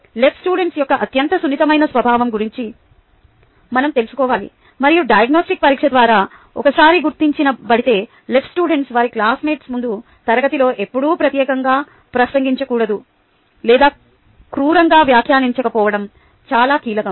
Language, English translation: Telugu, we need to be aware of the highly sensitive nature of the ls and, once identified through the diagnostic test, it is highly crucial that the ls are never directly addressed or unkindly commented upon in the class in front of their classmates